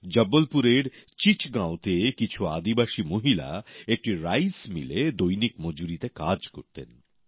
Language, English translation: Bengali, In Chichgaon, Jabalpur, some tribal women were working on daily wages in a rice mill